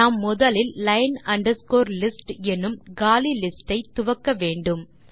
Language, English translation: Tamil, We first initialize an empty list, line underscore list